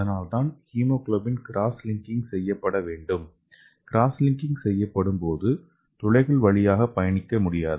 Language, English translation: Tamil, That’s why the hemoglobin should be cross linked and this cross linked hemoglobin can no longer travel through the pores, okay